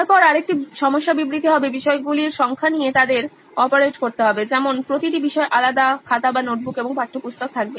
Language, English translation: Bengali, Then another problem statement would be the number of subjects they’ll have to operate with as in each subject would have individual notebook and textbook for that thing